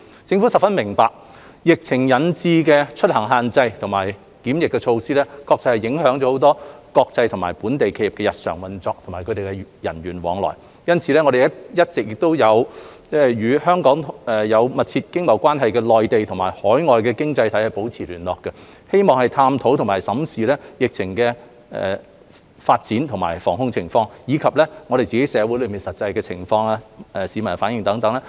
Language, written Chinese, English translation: Cantonese, 政府十分明白，疫情引致的出行限制和檢疫措施影響了國際和本地企業的日常運作和人員往來，因此我們一直亦與香港有密切經貿關係的內地和海外經濟體保持聯繫，並審視疫情的發展和防控工作，以及社會的實際情況、市民的反應等。, The Government fully understands that the travel restrictions and quarantine measures brought by the epidemic have affected the daily operation of international and local companies as well as the travelling of their personnel . In this connection we have been maintaining liaison with the Mainland and overseas economies that have close economic and trade relations with Hong Kong keeping in view the development of the epidemic and the prevention and control measures concerned as well as the actual situation in the community the reactions of the general public etc